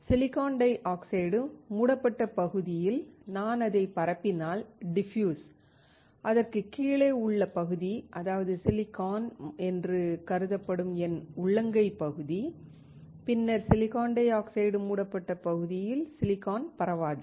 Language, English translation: Tamil, The area which is covered by silicon dioxide if I diffuse it then the area below it, that is, my palm area that is considered as silicon, then the silicon will not get diffused in the area covered by silicon dioxide